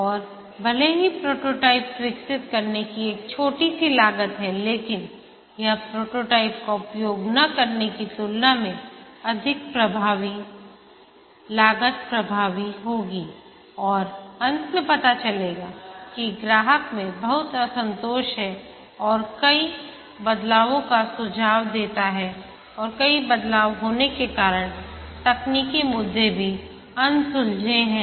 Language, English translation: Hindi, That would incur massive redesign costs and even though there is a small upfront cost of developing the prototype but that will be more effective cost effective then not using the prototype and finally finding out that the customer has lot of dissatisfaction and suggests many changes and also the technical issues are unresolved as a result many changes occur